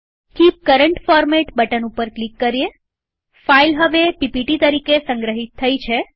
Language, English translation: Gujarati, Click on Keep Current Format button.The file is now saved as a ppt